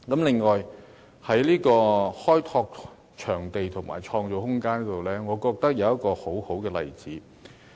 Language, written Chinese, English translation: Cantonese, 另外，在開拓場地和創造空間方面，我認為有一個很好的例子。, In addition as regards developing venues and creating room I think there is a very good example